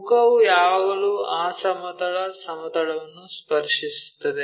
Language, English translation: Kannada, So, the face is always be touching that horizontal plane